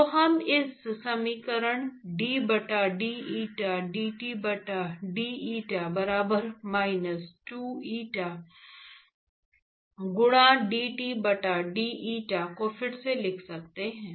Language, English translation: Hindi, So, we can slightly rewrite this equational d by deta dT by d eta equal to minus 2 eta into dT by d eta